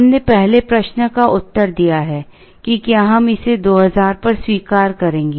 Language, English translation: Hindi, We have answered the first question as to, whether we will accept it 2000